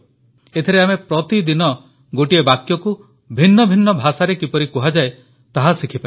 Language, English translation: Odia, In this section, we can learn how to speak a sentence in different languages every day